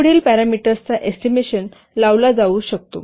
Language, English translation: Marathi, The following parameters can be estimated